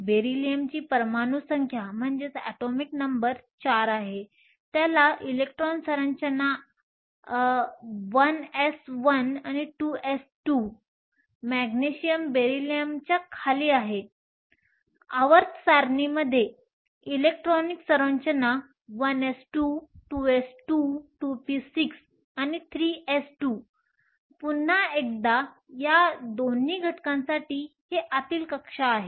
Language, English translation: Marathi, Beryllium has an atomic number of 4, it has an electron configuration 1 s 2, 2 s 2 the Magnesium is below Beryllium in the periodic table has an electronic configuration 1 s 2, 2 s 2, 2 p 6 and 3 s 2 once again for both of these elements these are the inner shell